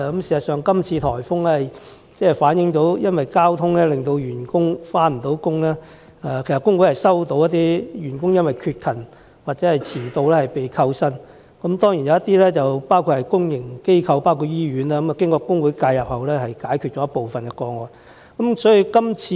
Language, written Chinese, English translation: Cantonese, 事實上，今次颱風引致的交通阻塞，令一些員工無法上班，而工會已接獲一些員工因缺勤或遲到而被扣減薪酬的個案，當中當然包括公營機構及醫院等的員工，經工會介入後，部分個案已成功處理。, As a matter of fact while some workers were unable to go on duty due to obstruction of traffic caused by the recent typhoon trade unions have received cases in which workers were subjected to punitive wage deduction for being absent from work or late . Of course among them are workers of the public sector and hospitals . Some of such cases were settled after intervention by trade unions